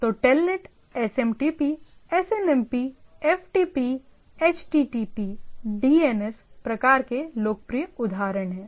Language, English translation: Hindi, So, there are popular example like Telnet SMTP SNMP, FTP HTTP type protocol DNS and so on and so forth